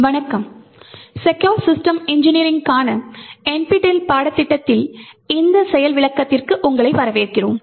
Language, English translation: Tamil, Hello and welcome to this demonstration in the NPTEL course for Secure System Engineering